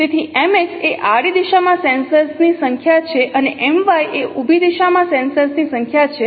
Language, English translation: Gujarati, So, MX is the sensors number of sensors in the horizontal directions and MI is the number of sensors in the vertical directions